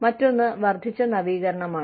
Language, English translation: Malayalam, The, other thing is increased innovation